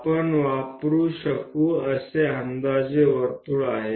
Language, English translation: Marathi, 9 mm this is the approximate circle what we can use